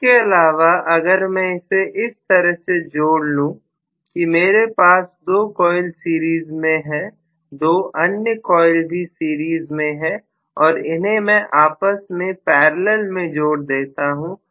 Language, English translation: Hindi, Rather than this, if I connect it in such a way that I am going to have 2 coils in series, 2 more coils in series and both of them are in parallel